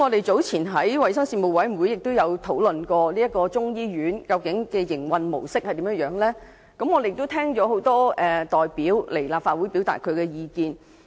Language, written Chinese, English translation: Cantonese, 早前在衞生事務委員會會議上，我們曾就中醫院的營運模式進行討論，聽到很多代表到立法會表達意見。, Discussion was conducted on the mode of operation of the Chinese medicine hospital at a meeting of the Panel on Health Services when many representatives expressed their views